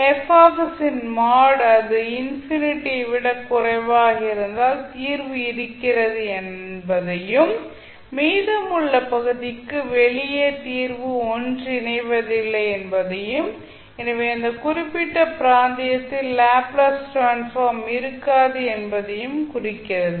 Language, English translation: Tamil, That mod of Fs if it is less than infinity it means that the solution exists and for rest of the section the outside the region the solution will not converge and therefore the Laplace transform will not exist in that particular region